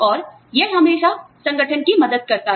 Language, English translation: Hindi, And, it always helps the organization